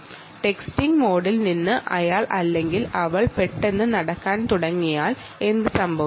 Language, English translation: Malayalam, what happens if from texting mode he suddenly, he or she suddenly realizes to go into, starts walking